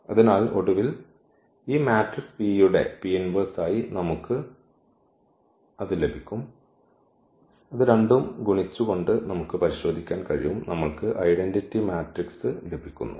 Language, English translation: Malayalam, So, finally, we will get this as the as the P inverse of this matrix P which we can also verify by multiplying these two and we are getting the identity matrix